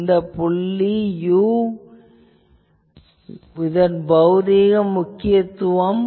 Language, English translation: Tamil, The point is you see this u, what is the physical significance of this u